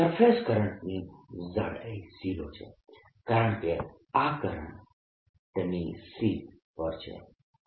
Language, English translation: Gujarati, surface current is of thickness zero because this is on a sheet of current